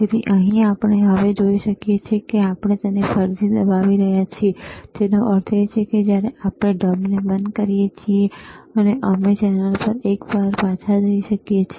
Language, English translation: Gujarati, So, here, we can see now, we are again pressing it; that means, we can go back to channel one when we switch off the mode